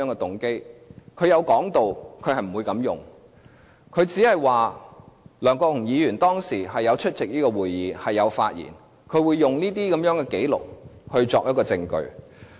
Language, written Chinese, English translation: Cantonese, 律政司有提到不會這樣用，只是想知道梁國雄議員當時有出席會議，亦有發言，會用這些紀錄作為證據。, DoJ has mentioned that it will not use them that way but only wants to know whether Mr LEUNG Kwok - hung has attended and spoke at that time . It will use these records as evidence